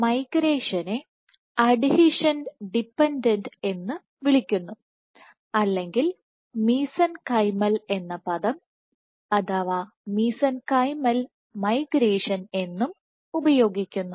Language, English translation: Malayalam, So, the type of migration that we are talking about is called adhesion dependent, or the word mesenchymal is also used mesenchymal migration